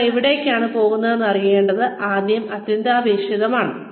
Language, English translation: Malayalam, It is very essential to know, where one is headed